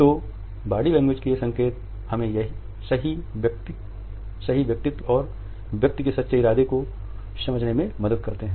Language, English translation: Hindi, So, these signals of body language help us to understand the true personality and the true intention of a person